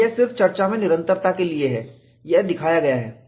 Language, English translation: Hindi, And this is just for continuity in discussion, this is shown